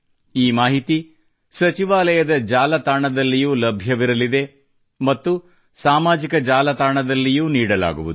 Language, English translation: Kannada, This information will also be available on the website of the ministry, and will be circulated through social media